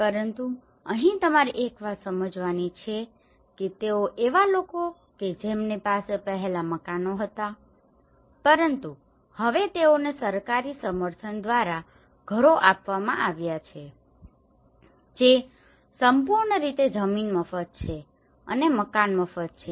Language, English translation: Gujarati, But here one thing you have to understand that they people who were having houses earlier but now they have been given houses through a government support which is completely land is free and the house is free